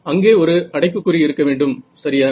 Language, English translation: Tamil, So, there should be a bracket over here yeah